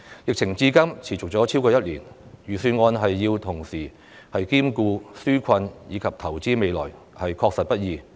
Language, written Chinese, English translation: Cantonese, 疫情至今持續超過1年，預算案要同時兼顧紓困及投資未來，確實不易。, As the epidemic has been raging for over one year it is indeed difficult for the Budget to strike the right balance between providing relief and investing in the future